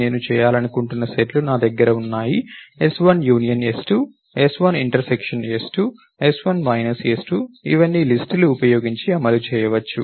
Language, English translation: Telugu, We can do things like, you can create a list with let us say, I have sets for which I want to perform, s1 union s2, s1 intersection s2, s1 minus s2all these can be implemented using this